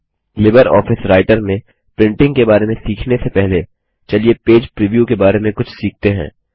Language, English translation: Hindi, Before learning about printing in LibreOffice Writer, let us learn something about Page preview